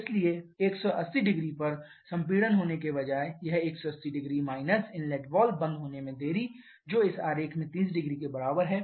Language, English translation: Hindi, So, instead of having a compression over 1800 it is 1800 minus the delay in inlet valve closing which is in this diagram to be equal to 300